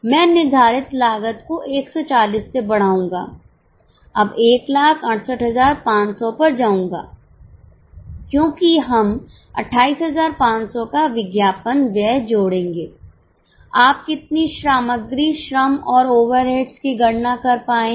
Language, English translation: Hindi, I will increase the fixed cost from 140 will now go to 168 500 because we will add advertising expense of 28,500